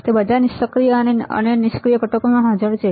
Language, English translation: Gujarati, It is present in all active and passive components